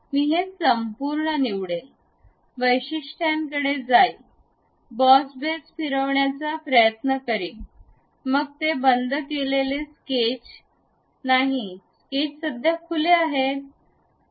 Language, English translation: Marathi, I will select this entire one, go to features, try to revolve boss base, then it says because it is not a closed sketch, the sketch is currently open